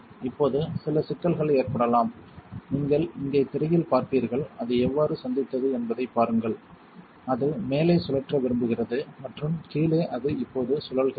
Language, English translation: Tamil, Now some complications can occur you will see on the screen right here, see how it is met the top is what it wants to spin and the bottom is what it is spinning now